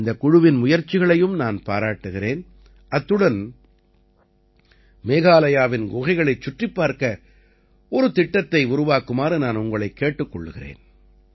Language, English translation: Tamil, I appreciate the efforts of this entire team, as well as I urge you to make a plan to visit the caves of Meghalaya